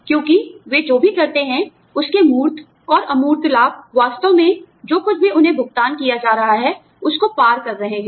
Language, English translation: Hindi, Because, the tangible and intangible benefits of, what they do, are actually surpassing, whatever they are being paid